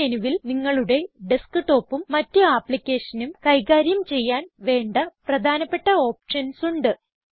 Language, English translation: Malayalam, This menu has many important options, which help you to manage your desktop and the various applications